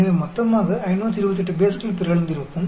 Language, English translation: Tamil, So, totally 528 bases would have been mutated